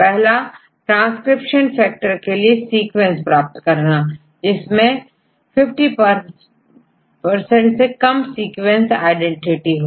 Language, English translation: Hindi, The first question is obtain the sequences of transcription factors with less than 50 percent sequence identity